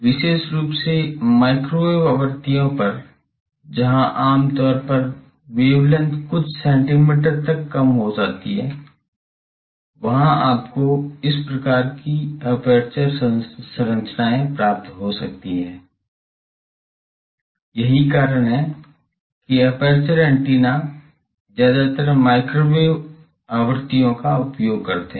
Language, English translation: Hindi, Particularly microwave frequencies where typically the wavelength has come down to some centimeters there you can have this type of aperture structures that is why aperture antennas are mostly use at microwave frequencies